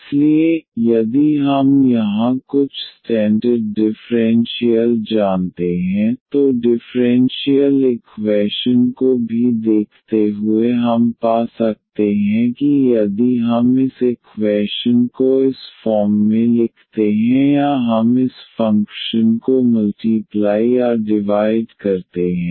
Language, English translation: Hindi, So, if we know some standard differentials here, then looking at the differential equation also we can find that if we rewrite this equation in this form or we multiply or divide by this function